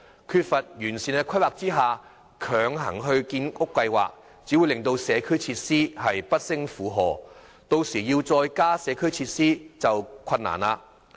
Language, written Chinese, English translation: Cantonese, 缺乏完善規劃下強行推展建屋計劃，只會令社區設施不勝負荷，其後要再加建社區設施便更困難。, If housing projects are forcibly implemented in the absence of proper planning community facilities will be overloaded making it more difficult to enhance community facilities afterwards